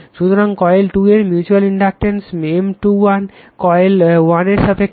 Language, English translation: Bengali, And mutual inductance M 2 1 means 2 1 means coil 2 with respect to coil 1